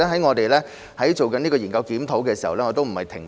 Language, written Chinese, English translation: Cantonese, 我們在進行研究檢討時，並沒有停步。, While conducting the study and review we have not ceased moving forward